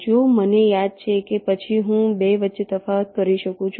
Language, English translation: Gujarati, if i remember that, then i can distinguish between the two